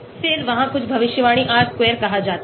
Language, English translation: Hindi, Then, there is something called predicted R square